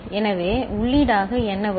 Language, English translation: Tamil, So, what will be coming as input